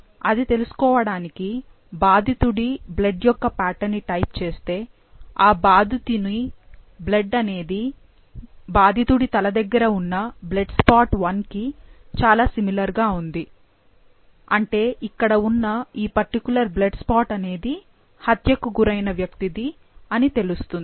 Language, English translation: Telugu, For that simply type the pattern for the victim's blood and we see that the victim's blood is very similar to that of blood spot 1, which is near the head of the victim, which tells us that this is the blood, this particular blood spot comes from the victim who has been murdered